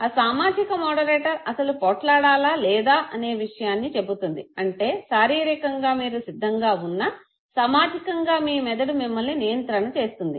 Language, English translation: Telugu, And that social moderator okay, tells you whether to fight or not, that means that even though you are biologically ready for an act, socially your brain controls you